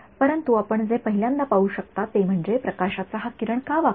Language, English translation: Marathi, But what you can see is, why did this beam of light get bent in the first place